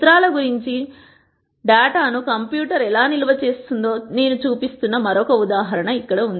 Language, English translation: Telugu, Here is another example where I am showing how a computer might store data about pictures